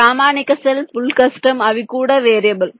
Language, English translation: Telugu, standard cell, full custom, they are also variable